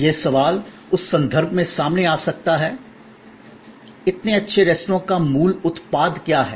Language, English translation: Hindi, The question that can come up in that context is, but what exactly is the core product of such a good restaurant